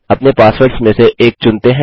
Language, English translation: Hindi, Lets choose one of our passwords